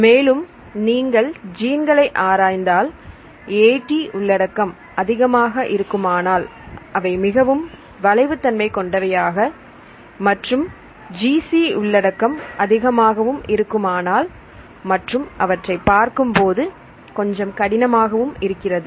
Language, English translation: Tamil, And if you look into this genomes if there are high AT content, they are highly flexible and they are high in GC content they seems to be little bit rigid